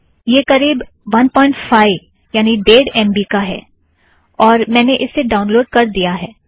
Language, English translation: Hindi, It is about 1.5 mb, that I have already downloaded